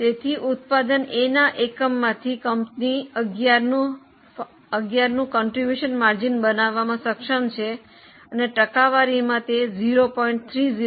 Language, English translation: Gujarati, So, from one unit of A company is able to make contribution margin of 11 and as a percentage it is 0